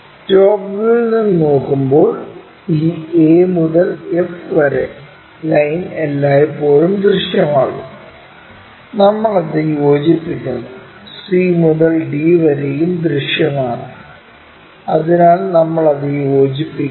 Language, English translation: Malayalam, And when we are looking from top view this a to f line always be visible, we join it, and c to d also visible, so we join that